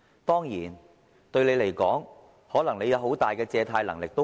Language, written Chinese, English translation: Cantonese, 當然，你們可能有很大的借貸能力。, Of course perhaps your borrowing power is immense